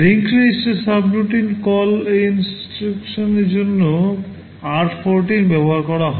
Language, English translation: Bengali, Link register is r14 used for subroutine call instruction